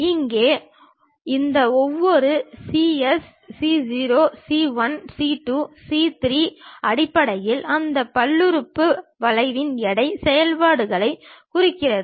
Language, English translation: Tamil, Here each of this cs c0, c 1, c 2, c 3 basically represents the weight functions of that polynomial curve